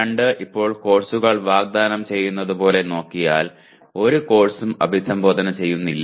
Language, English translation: Malayalam, PO2 is as they are offered now, as courses are offered now, is hardly addressed by any course